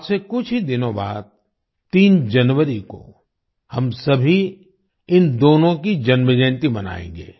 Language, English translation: Hindi, Just a few days from now, on January 3, we will all celebrate the birth anniversaries of the two